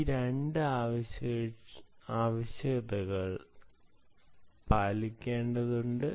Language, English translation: Malayalam, these two requirements have to be met